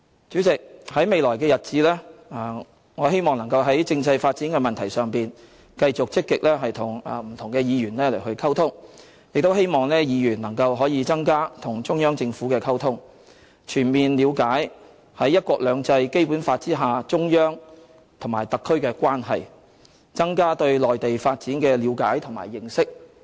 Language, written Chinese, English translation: Cantonese, 主席，在未來的日子，我希望能夠在政制發展的問題上，繼續積極與不同議員溝通，亦希望議員能夠增加與中央政府的溝通，全面了解中央和特區在"一國兩制"和《基本法》下的關係，增加對內地發展的了解和認識。, President I hope that in the days to come I can continue to engage in active communication with different Members on the issue of constitutional development . It is also my hope that Members would have more communication with the Central Government so that they will understand fully the relationship between the Central Authorities and SAR under the principle of one country two systems and the Basic Law and have a better understanding and knowledge of the development in the Mainland